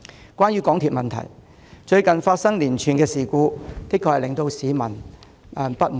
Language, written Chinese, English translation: Cantonese, 有關港鐵的問題，最近發生的連串事故確實令市民感到相當不滿。, Regarding the issue of MTRCL the public was justifiably outraged by the recent spate of incidents